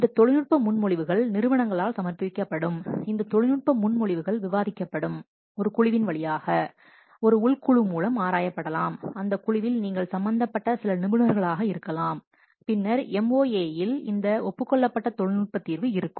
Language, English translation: Tamil, These technical proposals are examined and discussed, may be examined through a committee, internal committee, maybe some experts you may involve in that committee, then the agreed technical solution is the MOA